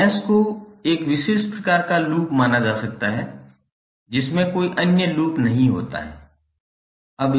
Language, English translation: Hindi, So mesh can be considered as a special kind of loop which does not contain any other loop within it